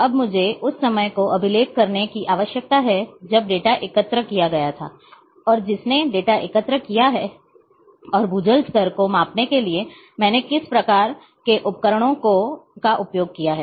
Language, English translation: Hindi, Now I,I need to record the time when the data was collected, and who has collected the data and all kinds what kind of instrumentations I have used to measure the ground water level